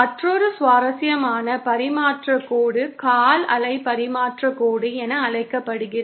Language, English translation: Tamil, Another interesting type of transmission line that exists is what is known as the quarter wave transmission line